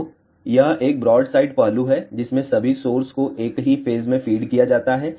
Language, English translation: Hindi, So, this is a broadside array in which all the sources are fed in the same phase